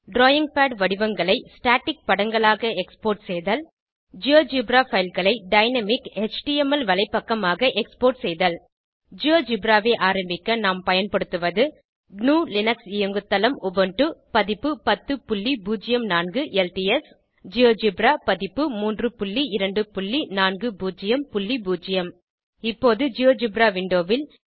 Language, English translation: Tamil, To Export the drawing pad figures as a static picture And Export the GeoGebra file as a dynamic HTML webpage To get started with Geogebra, I am using the GNU/Linux operating system Ubuntu Version 10.04 LTS and the Geogebra version 3.2.40.0 Now to the GeoGebra Window